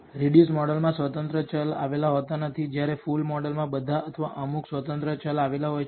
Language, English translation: Gujarati, The reduced model contains no independent variables whereas, the full model can contain all or some of the independent variables